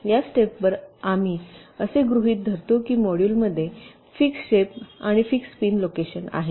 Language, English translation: Marathi, at this stage we assume that the modules has fixed shapes and fixed pin locations